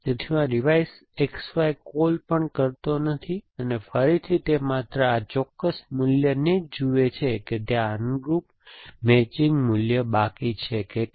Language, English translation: Gujarati, So, I does not even make this revise X Y call, again it is only looks at this particular value to see if there is a corresponding matching value left because it could have another value